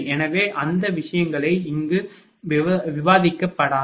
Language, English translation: Tamil, So, those things are not to be discussed here